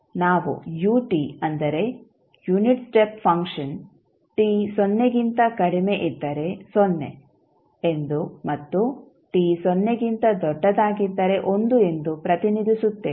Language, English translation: Kannada, We represent ut that is unit step function equal to 0 for t less than 0 and 1 when t greater than 0